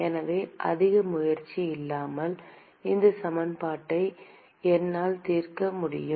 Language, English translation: Tamil, So, I can solve this equation without much effort